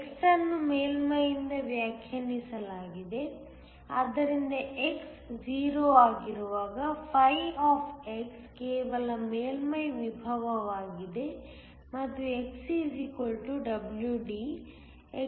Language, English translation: Kannada, So, x is defined from the surface, so that when x is 0, φ is just the surface potential and when x = WD, x = 0